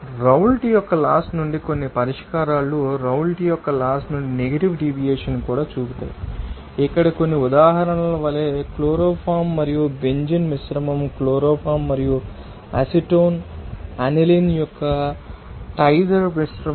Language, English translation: Telugu, From Raoult’s Law similarly, some solutions will also show negative deviation from the Raoult’s Law, like some examples here the mixture of chloroform and benzene mixture of chloroform and diether mixture of acetone aniline